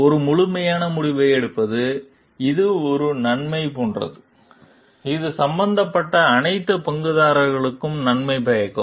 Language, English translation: Tamil, Take a holistic decision, which is like benefit, which is in benefit for all the stakeholders, who are involved